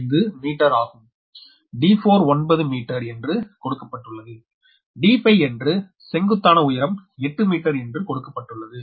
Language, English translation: Tamil, calcul: d four is given nine meter, d five will be eight meter because this is a vertical height